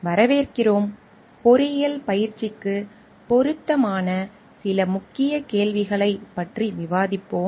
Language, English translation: Tamil, Welcome today we will be discussing some Key Questions which are relevant to engineering practice